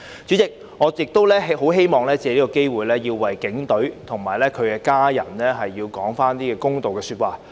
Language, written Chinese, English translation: Cantonese, 主席，我亦希望藉此機會為警隊及其家人說句公道話。, President I would also like to take this opportunity to give the Police Force and their families a fair deal